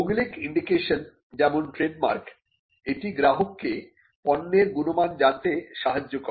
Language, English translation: Bengali, Then geographical indication like trademarks, it allows people to identify the quality of a product